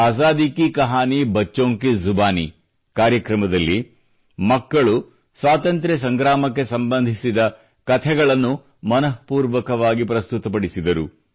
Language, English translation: Kannada, In the programme, 'Azadi Ki Kahani Bachchon Ki Zubani', children narrated stories connected with the Freedom Struggle from the core of their hearts